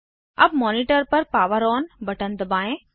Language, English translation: Hindi, Now, press the POWER ON button on the monitor